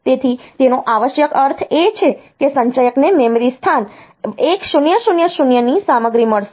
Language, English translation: Gujarati, So, it essentially means that accumulator will get the content of memory location 1000